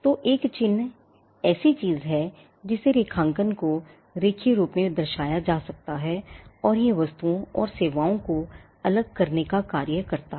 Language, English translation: Hindi, So, a mark is something that can be graphically indicated represented graphically, and it does the function of distinguishing goods and services